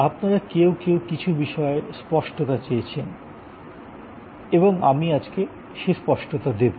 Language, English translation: Bengali, And some of you have asked for some clarification and I am going to provide that as well